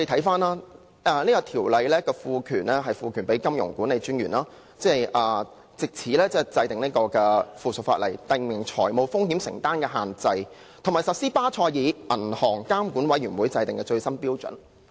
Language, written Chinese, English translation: Cantonese, 此《條例草案》賦權金融管理專員，制定附屬法例，訂明認可機構的風險承擔的限度，以及落實巴塞爾銀行監管委員會制定的最新標準。, The Bill seeks to empower MA to make rules to prescribe limits on exposures incurred by authorized institutions AIs and implement the latest standards set by BCBS